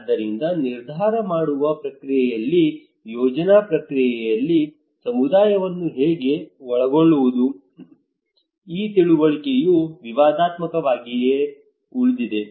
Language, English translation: Kannada, So how to involve the community into the process into the decision making process, into the planning process, this understanding remains controversial